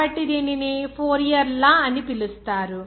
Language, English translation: Telugu, So, that is why it is called Fourier’s law